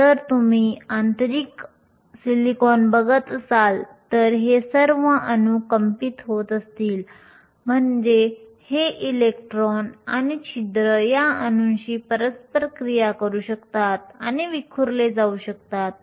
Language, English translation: Marathi, If you are looking at intrinsic silicon and all these atoms are vibrating which means these electrons and holes can interact with these atoms and gets scattered